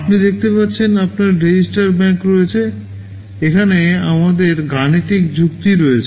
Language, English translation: Bengali, You see you have all the registers say register bank, here we have the arithmetic logic unit